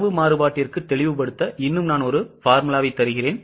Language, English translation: Tamil, I will give you one more formula for volume variance to make it more clear